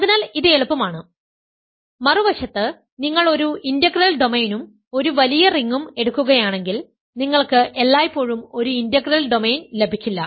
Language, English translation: Malayalam, So, this is easy; on the other hand if you take a integral domain and a bigger ring then you do not always get an integral domain